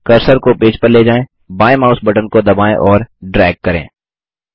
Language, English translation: Hindi, Move the cursor to the page, press the left mouse button and drag